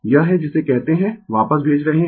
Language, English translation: Hindi, It is what you call sending back